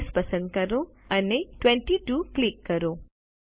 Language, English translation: Gujarati, Select Size and click 22